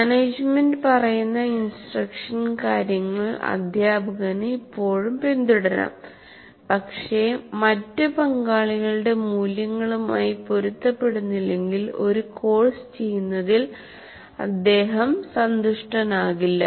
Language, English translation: Malayalam, The teacher may still follow what is dictated by the management, but he won't be really happy in doing a course if it is not in alignment with the values of other stakeholders